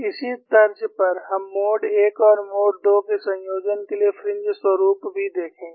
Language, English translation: Hindi, On similar lines, we would also see the fringe pattern for combination of mode 1 and mode 2